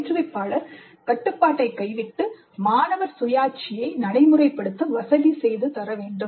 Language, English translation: Tamil, Instructor must relinquish control and facilitate student autonomy